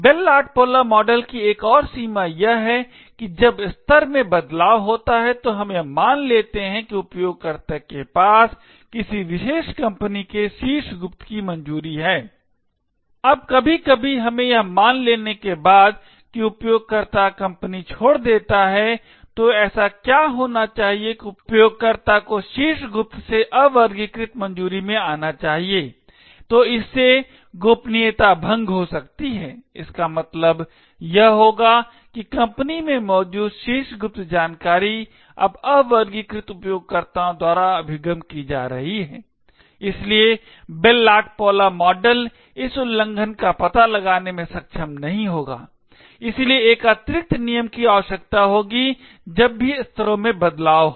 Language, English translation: Hindi, Another limitation of the Bell LaPadula model is the case when there is a change of levels, let us assume that a user has a clearance of top secret a particular company, now after sometimes let us assume that user leaves the company, so what should happen is that user should move from top secret to an unclassified clearance, so this could lead to a breach of confidentiality, it would mean that top secret information present in the company is now accessed by unclassified users, so the Bell LaPadula model would not be able to detect this breach, therefore an additional rule would require whenever there is a change of levels